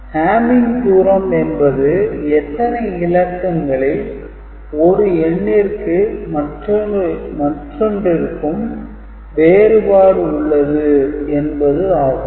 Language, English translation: Tamil, So, hamming distance is the number of bit positions by which code words differ from one another, ok